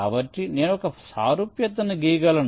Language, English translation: Telugu, so i can draw an analogy